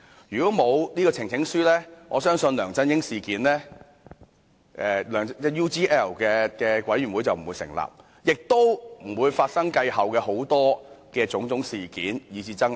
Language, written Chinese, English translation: Cantonese, 如果沒有呈請書的安排，相信調查梁振英 UGL 事件的專責委員會便不能成立，也不會發生繼後種種事件以至爭拗。, Without the arrangements concerning the presentation of petitions I believe a select committee could have never been set up to inquire into the UGL incident involving LEUNG Chun - ying and the subsequent incidents and disputes would have never occurred and arisen